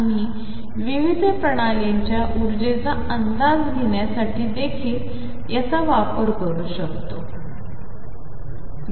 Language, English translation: Marathi, We can use it also to estimate energies of different systems